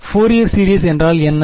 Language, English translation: Tamil, What is Fourier series